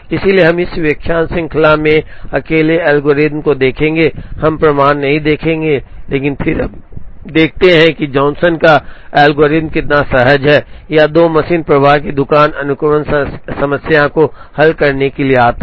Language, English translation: Hindi, So, we will see the algorithm alone in this lecture series, we will not see the proof, but then we see how intuitive Johnson’s algorithm is when, it comes to solving a 2 machine flow shop sequencing problem